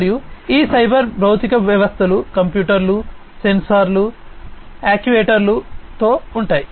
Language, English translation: Telugu, And these cyber physical systems are equipped with computers, sensors, actuators, and so on